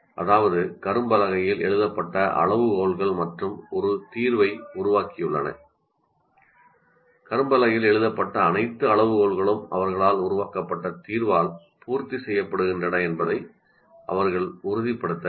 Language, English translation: Tamil, That means the criteria are written on the board and having written the solution, having worked out a solution, they should make sure that the all criteria written on the board and having written the solution, having worked out a solution, they should make sure that all criteria written on the board are met with by the solution created by them